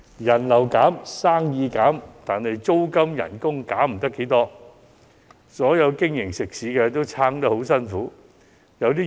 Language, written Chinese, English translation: Cantonese, 人流減、生意減，但租金及工資減不了多少，所有食肆都在苦苦支撐。, A decline in diners and sales however does not come in parallel with a significant reduction in rents and wages . All eateries are now struggling for survival